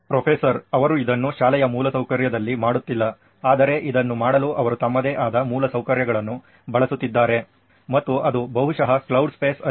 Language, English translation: Kannada, They are not doing it on school infrastructure but they are using their own infrastructure to do this and it is probably on cloud space